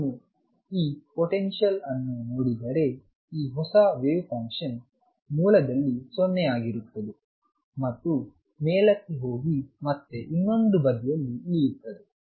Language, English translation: Kannada, So, if I look at this potential this new wave function is 0 at the origin goes up and comes down on the other side it comes down and goes like this